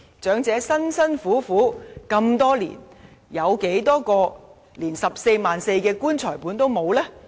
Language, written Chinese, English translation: Cantonese, 長者辛苦了這麼多年，當中有多少位就連 144,000 元的"棺材本"也沒有呢？, Having endured a lifetime of hard work many elderly people do have savings of at least 144,000 which will render them ineligible